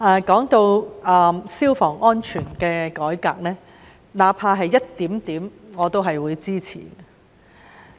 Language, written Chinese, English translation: Cantonese, 說到消防安全的改革，那怕只是一點點，我都會支持。, When it comes to the reform of fire safety even if it is just a small move I will support it